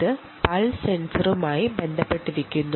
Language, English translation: Malayalam, this is related to the pulse sensor